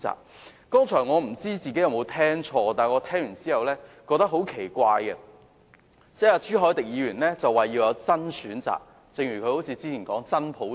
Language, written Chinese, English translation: Cantonese, 我剛才不知有否聽錯，但我感到很奇怪的是，朱凱廸議員表示要有"真選擇"，正如他之前所說要有"真普選"。, I wonder if I have got it right but it is very puzzling to me when Mr CHU Hoi - dick indicated just now that there should be a genuine choice just like the remarks he made previously to support genuine universal suffrage